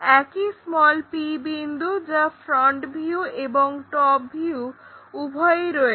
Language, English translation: Bengali, The same point p, where we have both the front view and top view